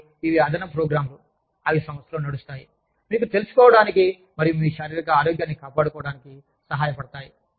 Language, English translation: Telugu, And, these are additional programs, that are run in the organization, to help you become aware of, and maintain your physical health